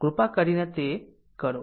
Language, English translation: Gujarati, You please do it